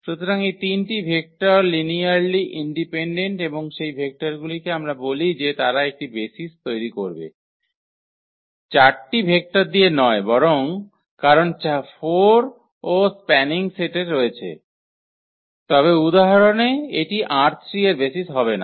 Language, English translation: Bengali, So, those 3 vectors they are linearly independent and for those vectors we can call that they will form a basis not the 4 vectors because 4 are also spanning set, but that will not be the basis of R 3 in that example